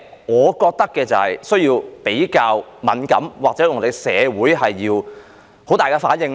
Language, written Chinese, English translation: Cantonese, 我覺得為何要這麼敏感或有需要在社會上作出很大的反應呢？, I have no idea why people have to be so sensitive or why there should be such a strong reaction in society